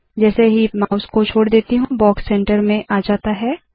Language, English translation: Hindi, As I release the mouse, the box gets moved to the centre